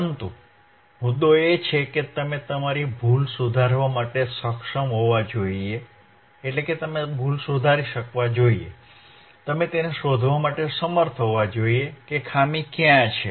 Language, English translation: Gujarati, So, ah, bBut the point is, you should be able to rectify your mistake, you should be able to find it find out where exactly the fault is right